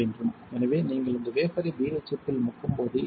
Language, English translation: Tamil, So, when you dip this wafer in BHF what will happen